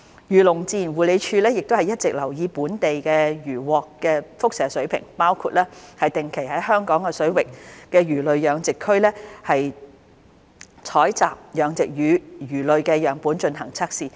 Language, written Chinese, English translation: Cantonese, 漁農自然護理署會一直留意本地漁穫的輻射水平，包括定期在香港水域的魚類養殖區採集養殖魚類樣本進行測試。, The Agriculture Fisheries and Conservation Department will keep in view the radiation levels of local catches including conducting regular sampling tests on cultured fish collected at fish culture zones in Hong Kong waters